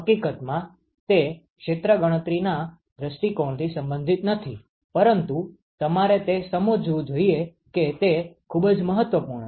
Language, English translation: Gujarati, In fact, the same area is not relevant from the calculation point of view, but you must understand that that is very important ok